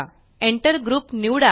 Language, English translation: Marathi, Select Enter Group